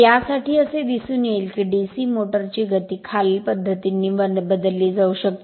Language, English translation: Marathi, For this it would be seen that the speed of a DC motor can be changed by the following methods